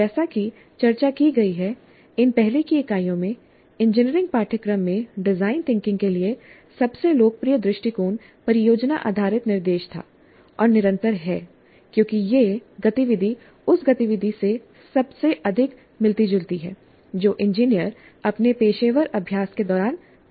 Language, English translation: Hindi, Now, as discussed in these earlier units, the most popular approach for design thinking in engineering curricula was and continues to be project based instruction because that activity most closely resembles the activity that engineers engage in during their professional practice